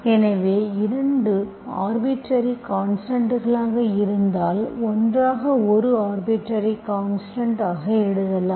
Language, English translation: Tamil, So if both are arbitrary constants, together is also an arbitrary constant